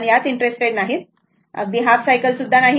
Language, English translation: Marathi, So, that is not interested or even a half cycle